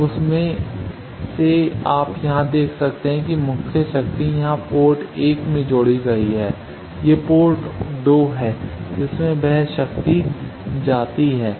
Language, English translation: Hindi, Now out of that you can see here that the main power is add in here port 1, this is port 2 from which that power goes